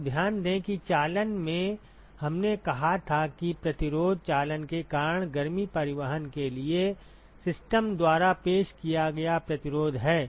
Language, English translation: Hindi, So, note that in conduction we said the resistance is the resistance offered by the system for heat transport right due to conduction